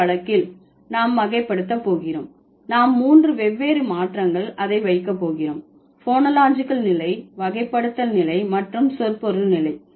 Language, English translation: Tamil, In this case we are going to category, we are going to put it in three different changes, phonological level, and semantic level